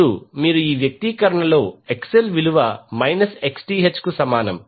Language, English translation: Telugu, That is XL should be equal to minus of Xth